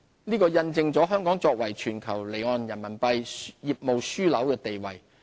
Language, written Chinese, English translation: Cantonese, 這印證了香港作為全球離岸人民幣業務樞紐的地位。, These are testimonies to Hong Kongs status as the global offshore RMB business hub